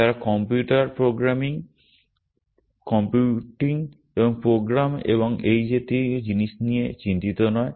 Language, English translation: Bengali, They are not worried about computer, computing and programs and things like that